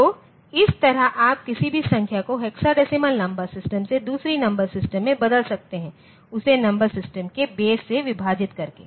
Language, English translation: Hindi, So, this way you can convert any number from decimal number system to other number systems by dividing it by the base of the number system